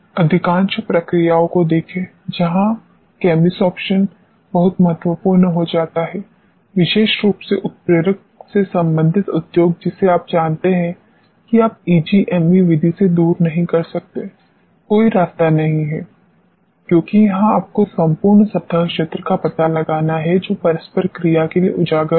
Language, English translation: Hindi, See most of the processes where chemisorption becomes very important, particularly the industry related with catalyst you know you cannot do away with EGME method there is no way, because this is where you have to ascertain the complete surface area which is exposed for interaction